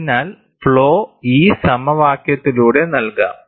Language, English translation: Malayalam, So, the flow can be given by this equation